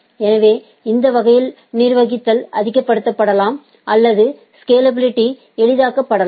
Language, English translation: Tamil, So, in way in this way the manageability may be made much or scalability is facilitated